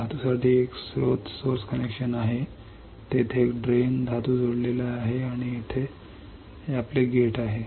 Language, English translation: Marathi, There is a source connection for metal there is a drain metal is connected and here is your gate